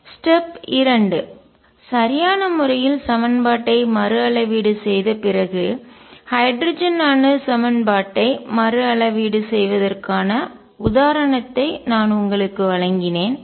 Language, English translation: Tamil, Step 2 after rescaling the equation appropriately, I gave you the example of rescaling the hydrogen atom equation